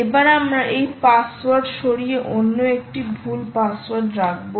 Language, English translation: Bengali, we will remove and put a wrong password here